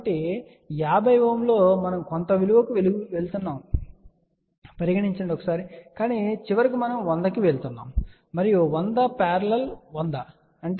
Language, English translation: Telugu, So, on 50 ohm let us say we are going to some value, but ultimately we are going to 100 ohm and these 100 in parallel with 100 will be 50